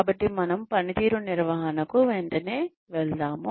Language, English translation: Telugu, So, we will straightaway jump in to management of performance